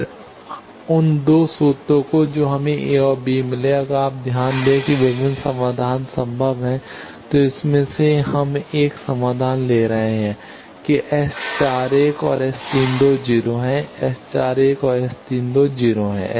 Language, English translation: Hindi, Then those 2 formulas that we got a and b, if you note that there are various solutions of that possible, out of that we are taking one solution that S 41 and S 32 are 0, S 41 and S 32 are 0